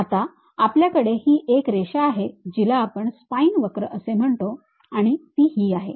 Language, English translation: Marathi, Now, there is a line a spine curve which we call that is this one